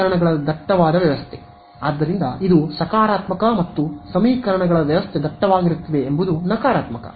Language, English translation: Kannada, Dense system of equations right; so, this is a plus point and this is a negative point dense system of equations right